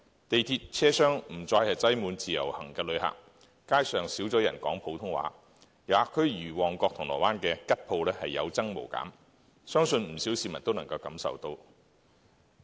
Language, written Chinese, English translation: Cantonese, 地鐵車廂不再擠滿自由行旅客，街上少了人說普通話，遊客區如旺角、銅鑼灣的吉鋪有增無減，相信不少市民都感受得到。, The MTR train compartments are no longer crowded with Individual Visit Scheme IVS visitors and there are fewer Putonghua speakers on the streets . I believe many people can see the increasing number of vacant shops in tourist districts such as Mong Kok and Causeway Bay